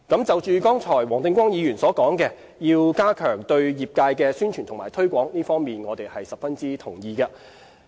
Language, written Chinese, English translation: Cantonese, 就剛才黃定光議員所說，要加強對業界的宣傳和推廣，這方面我們十分同意。, Mr WONG Ting - kwong has mentioned the need for the Government to step up its publicity and promotion efforts to raise the awareness of the industry . I strongly agree with him about this